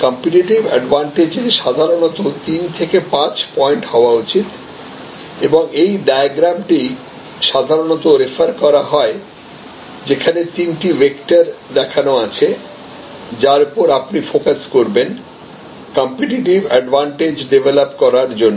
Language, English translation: Bengali, Competitive advantage should normally be maximum three to five points and this diagram is often preferred as the three vectors that you will focus on for developing your competitive strategy